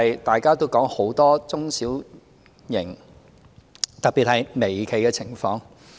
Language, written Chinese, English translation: Cantonese, 大家也談到很多中小型企業，特別是微企的情況。, Members have talked about the situation of many small and medium enterprises especially micro enterprises